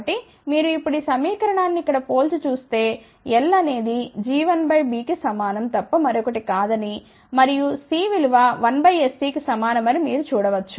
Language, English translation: Telugu, So, if you now compare this equation with this here we can say that one is nothing, but equal to g 1 by B and what is C equal to you can see that 1 by s C